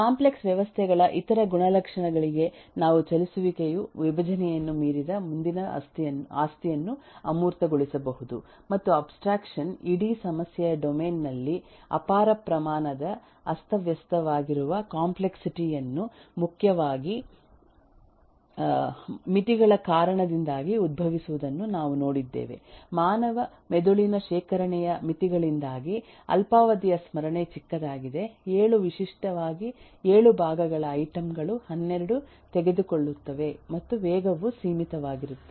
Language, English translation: Kannada, ehh moving on to the other eh properties of complex systems that we can leverage certainly the next property beyond decomposition is abstraction and we have eh seen that eh abstraction is eh we have seen that there is a huge amount of disorganized complexity in the whole eh problem domain arising primarily due to limitations of human brain both the limitation of storage, the short term memory is small, seven typically seven chunks of item even take 12 and the speed is also limited, it takes a whole lot of time to process new chunk of information irrespective of what that chunk is